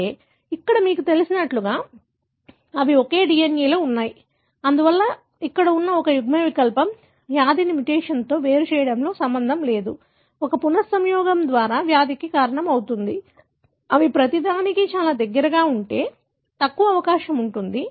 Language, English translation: Telugu, But there, you know, they are in the same DNA, therefore an allele that is present here, which is not linked to disease being separated by a mutation that causes a disease by a recombination is less likely if they are present very close to each other